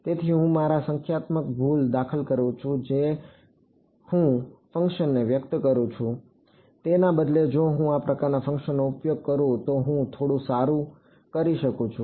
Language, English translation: Gujarati, So, I am introducing a numerical error into my in the way I am expressing the function itself; Instead if I use these kind of functions I am doing a little bit better